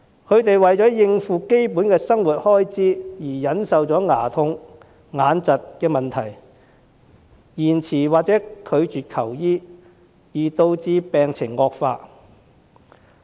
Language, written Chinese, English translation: Cantonese, 他們為了應付基本生活開支而忍受牙痛、眼疾的問題，延遲或拒絕求醫而導致病情惡化。, To cope with expenses on basic needs of living they endure problems such as toothaches and eye illnesses delaying or refusing medical consultation thus resulting in exacerbation of their conditions